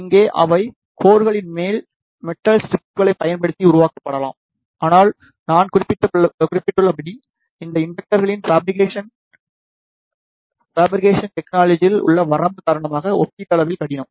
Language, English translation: Tamil, Here, they can be made using the metallic strips over the core, but as I mentioned the fabrication of these inductors is relatively difficult due to the limitation in the fabrication technique